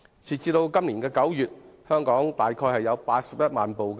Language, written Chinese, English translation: Cantonese, 截至今年9月，全港已登記車輛約有81萬部。, As at September this year there are about 810 000 registered vehicles in Hong Kong